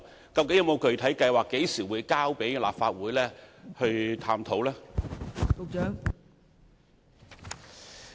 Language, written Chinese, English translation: Cantonese, 當局究竟有沒有具體計劃，何時會提交立法會進行探討呢？, Do the authorities have any concrete plans and when will they be submitted to the Legislative Council for examination?